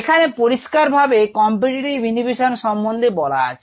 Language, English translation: Bengali, so this is clearly a case of competitive inhibition